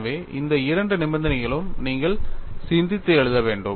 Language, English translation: Tamil, So, these are the two conditions that you have to think and write